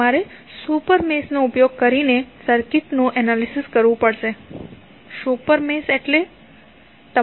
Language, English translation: Gujarati, You have to analyze the circuit by creating a super mesh, super mesh means